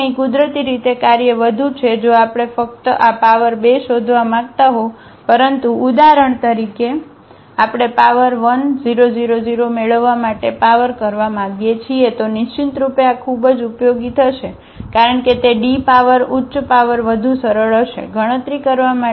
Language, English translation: Gujarati, So, here naturally the work is more if we just want to find out this power 2, but in case for example, we want to power to get the power 1000 then definitely this will be very very useful because D power higher power would be easier to compute